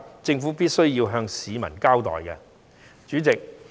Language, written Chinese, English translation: Cantonese, 政府是有需要向市民交代原因的。, It is necessary for the Government to explain the reasons to the public